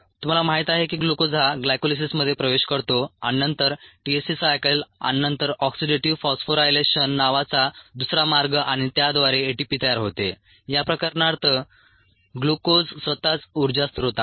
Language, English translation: Marathi, you known the glucose gets into this pathways: glycolysis, and then another pathway called the t c a cycle and the oxidative phosphorylation, and there by produces a t p, in this case ah